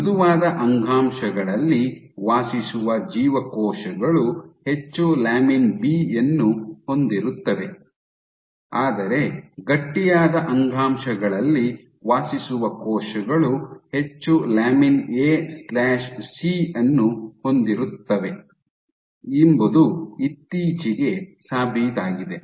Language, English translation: Kannada, So, what has been recently demonstrated is that cells which reside in soft tissues, contain more of lamin B, while cells which reside in stiff tissues they contain more of lamin A/C